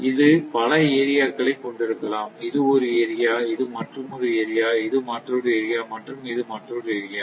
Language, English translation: Tamil, It may have so many areas, suppose this one, this is another area, another area, another area